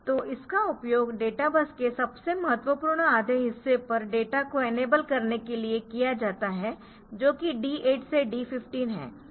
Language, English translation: Hindi, So, it is used to enable data on to the most significant half of the data bus that is D 8 to D 15